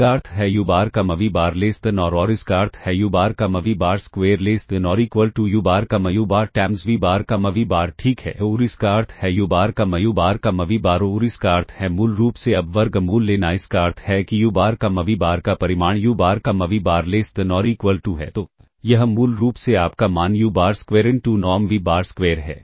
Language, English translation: Hindi, So, 4 u bar v bar square minus 4 into u bar comma u bar into v bar comma v bar less than or equal to 0 this implies u bar comma v bar less than or this implies u bar comma v bar square less than or equal to u bar comma u bar times v bar comma v bar ok and ah this implies u bar comma u bar u bar comma v bar ah and this implies basically now taking the square root this implies that magnitude of u bar comma v bar less than or equal to ah